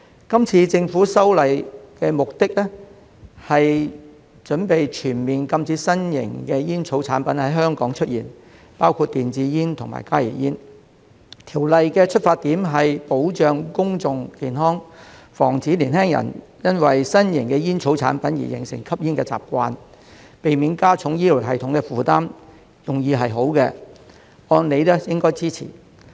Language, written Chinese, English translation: Cantonese, 今次政府修例的目的，是擬全面禁止新型煙草產品在香港出現，包括電子煙和加熱煙，條例的出發點是保障公眾健康，防止年輕人因為新型煙草產品而形成吸煙的習慣，避免加重醫療系統的負擔，用意是好的，按理應該支持。, The objective of the Government in introducing these legislative amendments is to propose a full ban on novel tobacco products in Hong Kong including electronic cigarettes and heated tobacco products HTPs . The Bill is intended to protect public health and prevent young people from developing the habit of smoking because of novel tobacco products which will otherwise add to the burden on the healthcare system . The Bill is well - intentioned and warrants support